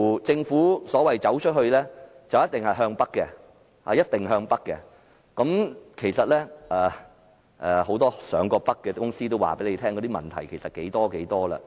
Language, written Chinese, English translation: Cantonese, 政府說的"走出去"，似乎一定是向北，其實很多曾經北上的公司也表示問題相當多。, For the Government it seems that go global inevitably means go northward . In fact many companies which have gone northward have indicated that there are many problems